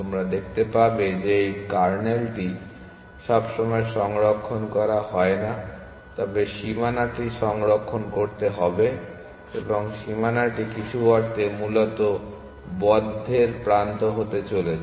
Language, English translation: Bengali, They will see that this kernel is not necessarily stored, but the boundary has to be stored and the boundary is going to be only the edge of the closed essentially in some senses